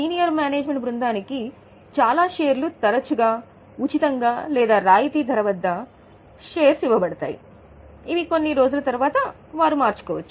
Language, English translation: Telugu, So, they are issued a lot of shares, often free of cost or at a discounted price, which are converted after some days